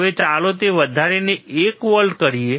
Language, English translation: Gujarati, Now, let us increase to 1 volts